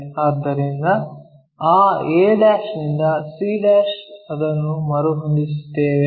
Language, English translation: Kannada, So, that a' to c' we will rescale it